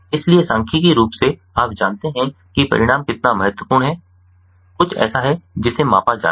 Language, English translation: Hindi, so statistically, how much the you know the results are significant is something that has to be measured